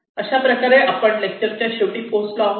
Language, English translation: Marathi, so with is we will come to the end of this lecture